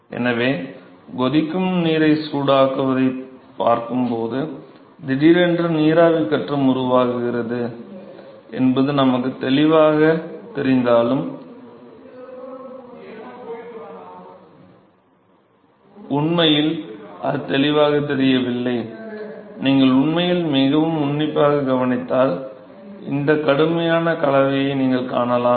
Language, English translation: Tamil, So, all though its seems so obvious for us when we see heating of water boiling of water that suddenly the vapor phase is formed, it is not actually not that obvious, if you actually observed very closely, you will see these rigorous mixing you can see that and it is very easy to see this